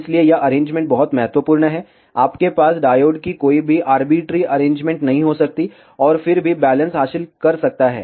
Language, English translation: Hindi, So, this arrangement is very important, ah you cannot have any arbitrary arrangement of diodes, and still achieve balancing